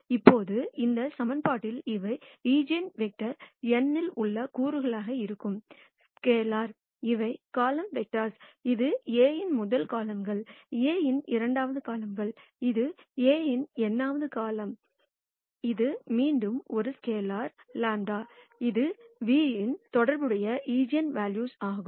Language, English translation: Tamil, Now in this equation, let me be very clear; these are scalars which are components in the eigenvector nu; these are column vectors; this is a rst column of A, second column of A, this is nth column of A, this is again a scalar lambda; which is the eigenvalue corresponding to nu